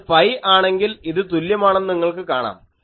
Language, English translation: Malayalam, Then this point is pi, you see it is symmetric